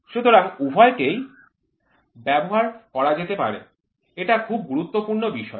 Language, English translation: Bengali, So, both can be used, very important point